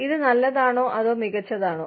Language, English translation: Malayalam, Is this good, or is this better